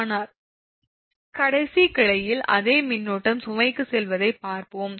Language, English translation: Tamil, later we will see the same current actually going to the load